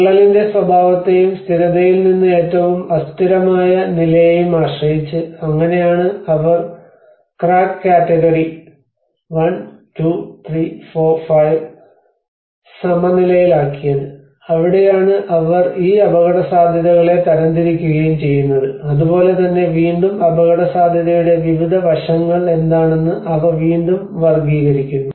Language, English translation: Malayalam, \ \ So, depending on the nature of the crack and from the stable to the most unstable level, so that is how they leveled crack category 1, 2, 3, 4, 5 and that is where they classified and categorize these risk aspects and similarly this is again, they again categorize with what are the different aspects of the risk